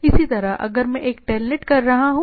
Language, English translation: Hindi, Similarly, if I am doing a say telnet